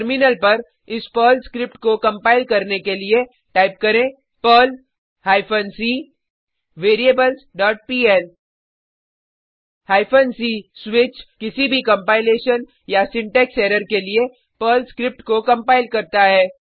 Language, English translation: Hindi, To compile this Perl script, on the Terminal typeperl hyphen c variables dot pl Hyphen c switch compiles the Perl script for any compilation/syntax error